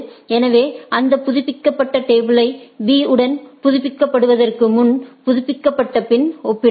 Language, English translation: Tamil, So, that updated table can be compared with the B, it can be before or after